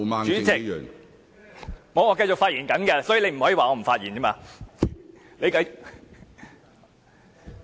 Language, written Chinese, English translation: Cantonese, 主席，我正在發言，你不可以說我不是在發言。, President I am speaking now and you cannot say that I am not speaking